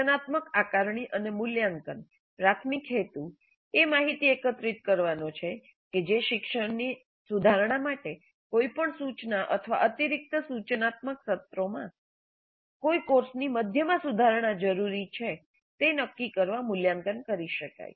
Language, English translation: Gujarati, Formative assessment and evaluation primary purpose is to gather data that can be evaluated to decide if any mid course correction to instruction or additional instructional sessions are required to improve the learning